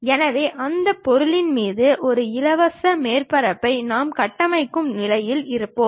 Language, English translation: Tamil, So, that we will be in a position to construct, a free surface on that object